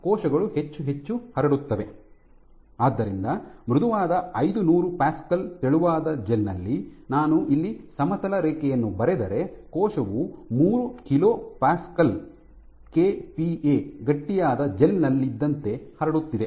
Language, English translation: Kannada, So, on the soft 500 Pascal gels 500 Pascal thin gel the cell is spreading as if it was on a 3 kPa stiff gel